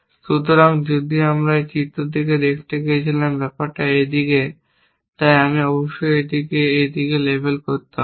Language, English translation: Bengali, So, if I went to look at this figure matter is this side, so I must label it this side and like this and so on